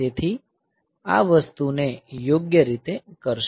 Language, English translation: Gujarati, So, that will do this thing correctly